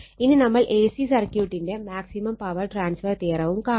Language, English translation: Malayalam, So, this is the maximum power transfer theorem for A C circuit